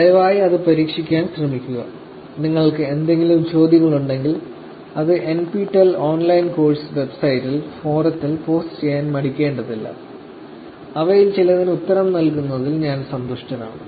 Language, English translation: Malayalam, Please try to attempt it and if there are any questions, feel free to post it on the forum on NPTEL online course website and I'll be happy to actually answer some of them